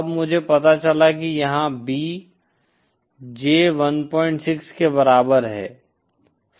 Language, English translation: Hindi, Then I found out that here the B in is equal to J 1